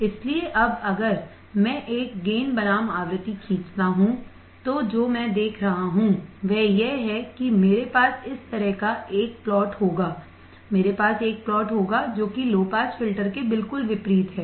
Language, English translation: Hindi, So, now if I draw a gain versus frequency what I see is that I will have a plot like this, I will have a plot which is which is exactly opposite to that of a low pass filter